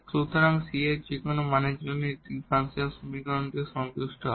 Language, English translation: Bengali, So, also satisfy this differential equation for any value of this c